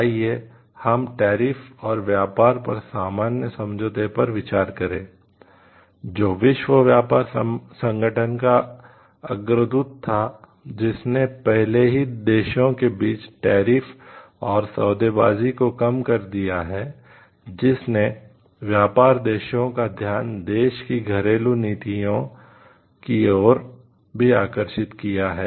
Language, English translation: Hindi, Let us visit that General Agreement on Tariffs and Trade which was a precursor to the WTO had already resulted in low tariffs and increasing treats among nations due to which even domestic policies of the nations came into focus of trading nations